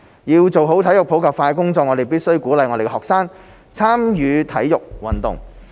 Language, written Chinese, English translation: Cantonese, 要做好體育普及化的工作，我們必須鼓勵我們的學生參與體育運動。, To better promote sports in the community we must encourage our students to participate in sports